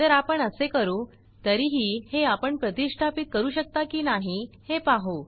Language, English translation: Marathi, So what we will do is, lets see whether we can install it anyway